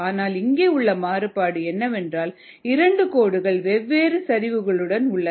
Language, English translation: Tamil, only thing is that we have two lines with different slopes